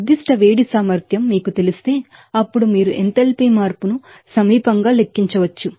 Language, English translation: Telugu, If you know that a specific heat capacity then you can calculate that proximate the enthalpy change